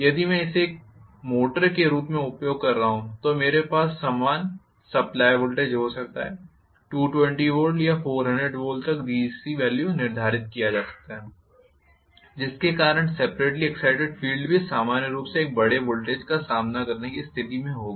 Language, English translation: Hindi, If I am using it as a motor I might have the same voltage supply, may be to 220 volts or 400 volts the DC value is fixed because of which the separately excited field will also be in a position to withstand a large voltage normally